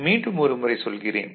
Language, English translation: Tamil, Let me repeat once more